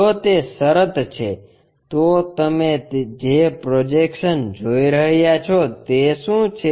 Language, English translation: Gujarati, If that is the case, what is the projection you are seeing